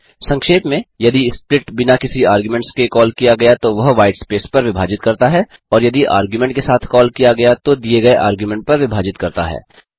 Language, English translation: Hindi, In short, split splits on white space if called without an argument and splits on the given argument if it is called with an argument